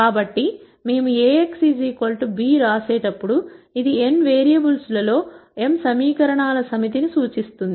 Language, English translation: Telugu, So, when we write Ax equal to b, this represents a set of m equations in n variables